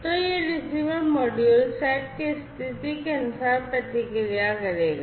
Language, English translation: Hindi, So, this receiver module will then respond, according to the set condition